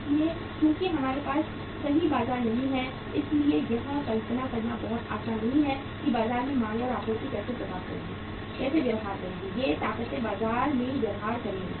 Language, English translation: Hindi, So since we do not have the perfect markets, it is not very easy to visualize how the demand and supply will behave in the market, these forces will behave in the market